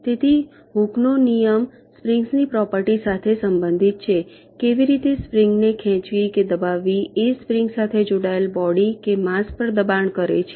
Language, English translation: Gujarati, so hookes law relates to the property of a spring, how stretching or contracting a spring exerts force on a body or a mass which is connected to the spring